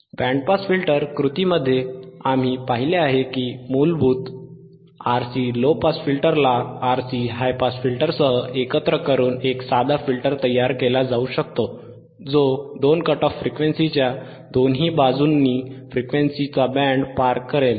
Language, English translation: Marathi, In Band Pass Filter action we have seen that a basic RC low pass filter can be combined with a RC high pass filter to form a simple filter that will pass a band of frequencies either side of two cut off frequencies